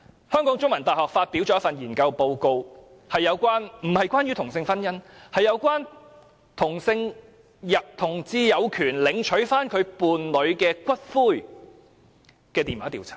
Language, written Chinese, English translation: Cantonese, 香港中文大學發表了一份研究報告，報告並不是關於同性婚姻，而是有關同志有權領取其伴侶的骨灰的電話調查結果。, The Chinese University of Hong Kong has published a report of a study . This report which is not about same - sex marriage is the results of a telephone survey on the right of same - sex partners to claim the ashes of their partner